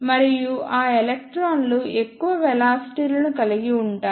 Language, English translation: Telugu, And those electrons will have greater velocities